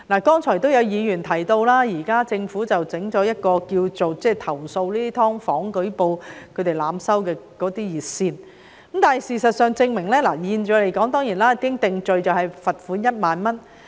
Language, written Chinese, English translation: Cantonese, 剛才有議員提到，政府設立了一條投訴"劏房"業主濫收費用的舉報熱線，現時一經定罪的罰款為1萬元。, As mentioned by some Members just now the Government had set up a hotline for receiving complaints about overcharging of fees by owners of subdivided units which is liable on conviction to a fine of 10,000